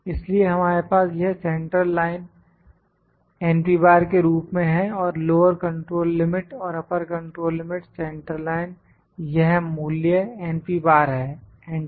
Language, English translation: Hindi, So, we have this centre line as our n P bar and lower control limit and upper control limit, central line is this value n P bar, enter